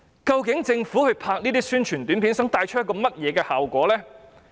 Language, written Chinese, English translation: Cantonese, 究竟政府拍攝這些宣傳短片想帶出甚麼效果？, What effects does the Government want to create by producing these APIs?